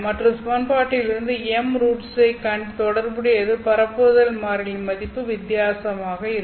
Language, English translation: Tamil, The solution has m roots and corresponding to these m roots of the equation, the value of propagation constant will also be different